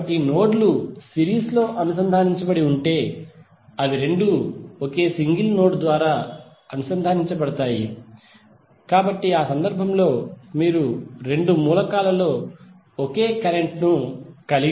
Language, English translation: Telugu, So it means that if the nodes are connected in series then they both elements will connected through one single node, So in that case you have the same current flowing in the both of the elements